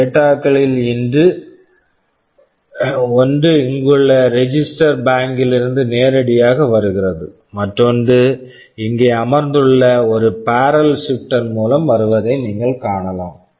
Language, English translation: Tamil, OSo, one of the data is coming directly from the register bank here, and for the other one you see there is a barrel shifter sitting here